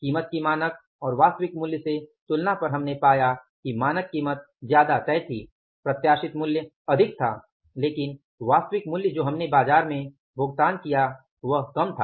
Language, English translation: Hindi, So, it means we controlled the price while comparing the price with the standard and actual standard price that was higher, anticipated price that was higher, but actual price what we paid in the market